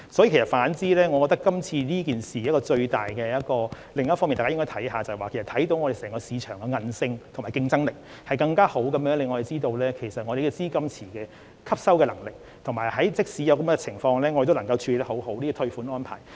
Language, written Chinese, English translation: Cantonese, 因此，我認為大家應該留意，今次事件反而顯示了香港市場的韌性和競爭力，令人更清楚知道本地資金池的吸納能力，以及香港即使出現這種情況仍能妥善處理退款安排。, Therefore I think it is worth noting that this incident has on the contrary demonstrated the resilience and competitiveness of the Hong Kong market giving people a better picture about the depth of our pool of liquidity and Hong Kongs capability to make proper refund arrangements in circumstances like this